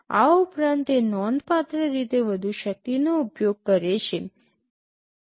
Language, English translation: Gujarati, In addition it also consumes significantly higher power